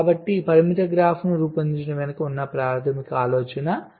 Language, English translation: Telugu, so this is the basic idea behind generating the constraint graph